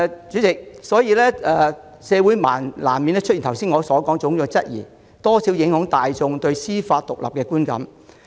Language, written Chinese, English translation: Cantonese, 主席，社會人士難免有我剛才提到的種種質疑，而且公眾對司法獨立的觀感也會受到影響。, President the community will inevitably have all kinds of doubts that I have just mentioned and the publics perception of judicial independence will also be affected